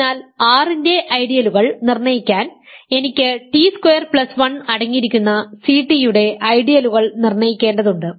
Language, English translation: Malayalam, So, in order to determine ideals of R, I need to determine what are the ideals of C t that contain t square plus 1